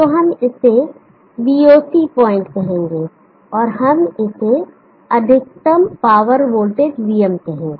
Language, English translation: Hindi, So we will call this as VOC point and we will call this as VM the maximum power voltage